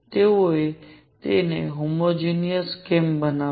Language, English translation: Gujarati, Why they made it in homogeneous